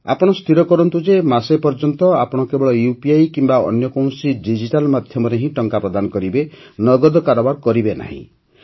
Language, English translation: Odia, Decide for yourself that for one month you will make payments only through UPI or any digital medium and not through cash